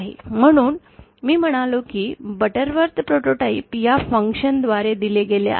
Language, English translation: Marathi, So, I said that the Butterworth autotype is given by this function